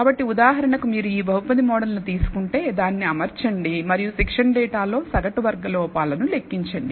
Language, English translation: Telugu, So, for example, if you take this polynomial model t it and compute the mean squared error in the training data